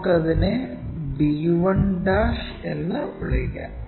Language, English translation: Malayalam, So, let us call this projected 1 b '